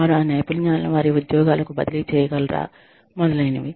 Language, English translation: Telugu, Have they been able to, transfer those skills, do their jobs, etcetera